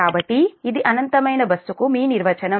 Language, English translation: Telugu, so this is your definition of infinite bus